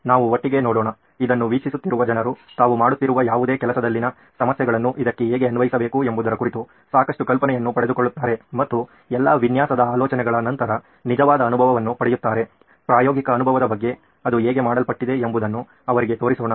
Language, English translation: Kannada, So let’s start with say we’ll go one by one, so that people who are viewing this will get a fair bit of idea as to how to apply this in any problem that they are working on and get real feel for after all design thinking is about practical experience so that’s why demonstrating to them how it’s done